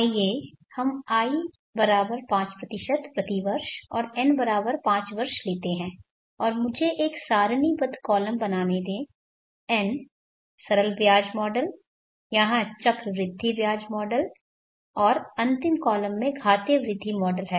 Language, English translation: Hindi, Let us take I=5% per year and n = 5 years, and let me make a tabular column N, the simple interest model, the compound interest model here and the exponential growth model in the last column